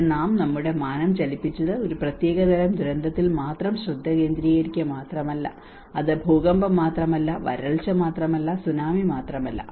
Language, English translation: Malayalam, Here we have moved our dimension not just only focusing on a particular type of a disaster, it is not just only earthquake, it is not only by a drought, it is not by only tsunami